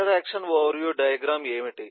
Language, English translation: Telugu, so what are interaction overview diagram